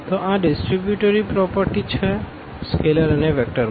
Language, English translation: Gujarati, So, this is again this distributivity property of these scalars and vectors